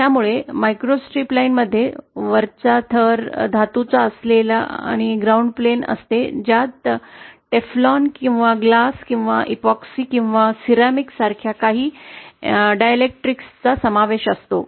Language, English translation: Marathi, So the microstrip line consist of a ground plane with a top layer metal with a sub strip comprising of some Dielectric like Teflon or glass epoxy or ceramic in between